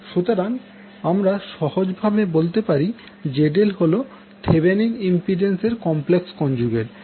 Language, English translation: Bengali, So, you can easily say that ZL is equal to complex conjugate of the Thevenin impedance